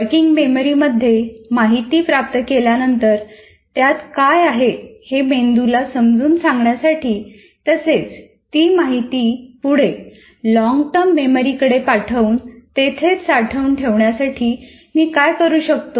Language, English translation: Marathi, Now having got the information into the working memory, how do I facilitate the brain in dealing with what is inside the working memory and transfer it to long term memory and keep it there